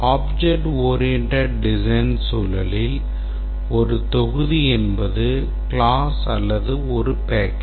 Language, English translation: Tamil, In the context of object oriented design, a module can be a class or a package